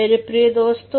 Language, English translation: Hindi, Not at all, my dear friends